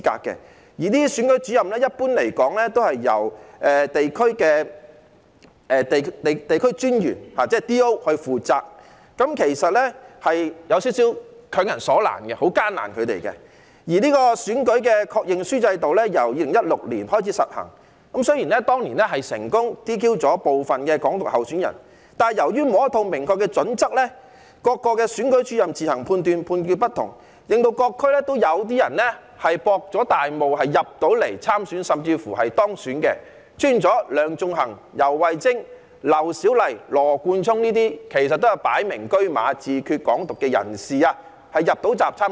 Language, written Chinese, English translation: Cantonese, 一般而言，這些選舉主任都是由民政事務專員，即 DO 出任，其實這樣做有點強人所難，是很為難他們的；而選舉確認書制度由2016年開始實行，雖然當年成功 "DQ" 部分提倡"港獨"的候選人，但由於沒有一套明確準則，各選舉主任自行決定，判斷亦有不同，令各區也有些人成功"博大霧"參選甚至當選，出現了梁頌恆、游蕙禎、劉小麗和羅冠聰這些擺明車馬主張自決、"港獨"的人能夠入閘參選。, The Confirmation Form system has been implemented for elections since 2016 and while some candidates advocating Hong Kong independence were successfully DQ or disqualified given the absence of clear criteria the Returning Officers had to make decisions on their own and their judgments therefore varied . So by exploiting this loophole some people in various districts succeeded in having their candidacy confirmed and were even elected . This is why people like Sixtus LEUNG YAU Wai - ching LAU Siu - lai and Nathan LAW who unequivocally advocated self - determination and Hong Kong independence could enter the race and contest the election